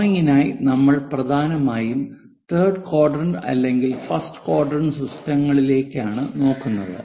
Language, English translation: Malayalam, For drawing, we mainly look at either third quadrant or first quadrant systems